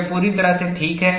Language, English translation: Hindi, This is perfectly alright